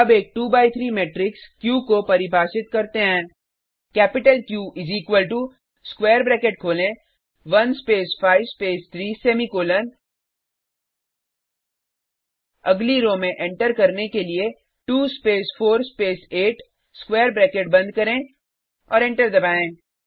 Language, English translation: Hindi, Let us now define a 2 by 3 matrix Q: Capital q is equal to open square bracket one space five space three semicolon to enter into the next row Two space four space eight close the square bracket and press enter